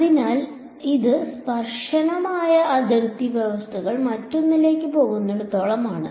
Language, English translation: Malayalam, So, this is as far as tangential boundary conditions go the other